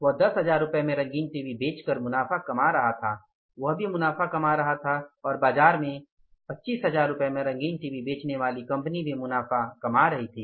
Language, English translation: Hindi, He was earning the profits by selling the colour TV for 10,000 rupees he was also earning the profits and a company selling the colour TV for 25,000 rupees in the market they were also earning the profits